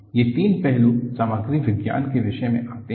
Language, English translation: Hindi, These three aspects come under the topic of Material Science